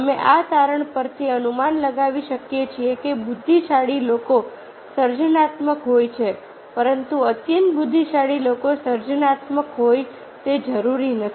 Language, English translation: Gujarati, we can inform from this finding that intelligent people are creative, but highly intelligent people are not necessarily creative